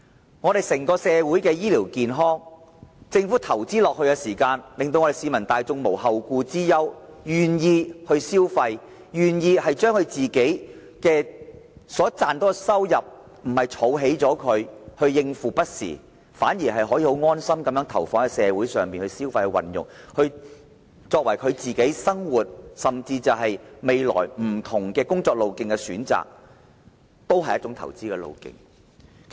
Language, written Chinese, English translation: Cantonese, 政府投資在社會的整體醫療服務，令市民大眾無後顧之憂，因而願意消費，願意把所賺取的收入——不是用來儲蓄，以應付不時之需——投放在社會上，為未來的生活甚至是工作的不同選擇作好準備，也是一種投資方式。, When the Government invests in the overall health care services for the community to relieve the public from worries about their future people will be willing to spend their income in the community instead of making savings for unexpected needs in future preparing for their future life and even their choice of work in future . This is also a kind of investment